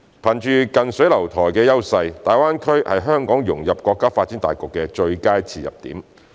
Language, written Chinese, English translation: Cantonese, 憑着近水樓台的優勢，大灣區是香港融入國家發展大局的最佳切入點。, Leveraging our close proximity Hong Kong can make use of the GBA development as the best entry point to integrate into the overall development of the country